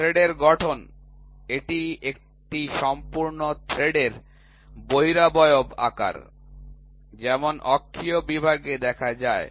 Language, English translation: Bengali, Form of thread it is the shape of the contour of one complete thread, as seen in an axial section